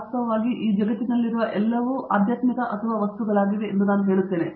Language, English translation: Kannada, In fact, I say everything in this world is either spiritual or material